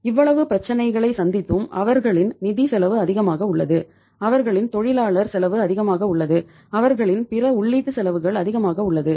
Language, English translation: Tamil, After means facing so much of the problems their financial cost is high, their labour cost is high, their other input costs are high